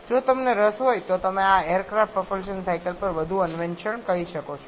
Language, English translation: Gujarati, If you are interested you can explore more on this aircraft propulsion cycles